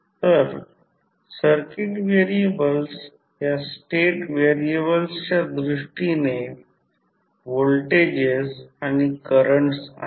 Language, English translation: Marathi, So, the circuit variables are voltages and currents in terms of these state variables